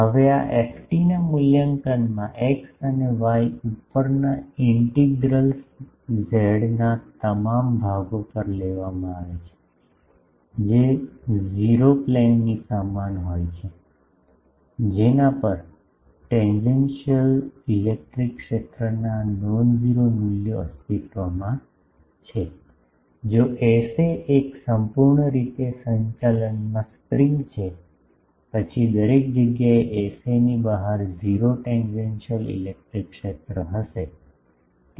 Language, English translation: Gujarati, Now, in the evaluation of this ft the integrals over x and y are taken over all portions of the z is equal to 0 plane on which non zero values of the tangential electric field exists, if S a is an opening cut in a perfectly conducting spring then everywhere outside S a will be 0 tangential electric field